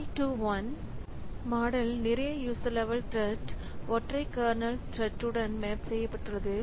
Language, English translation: Tamil, So, many to one model, so many user level threads mapped to a single kernel thread